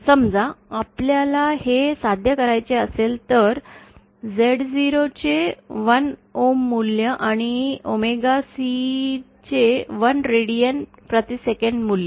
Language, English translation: Marathi, Now suppose we want to achieve, this was a prototype with 1 ohms value of Z0 and 1 radians per second value of omega C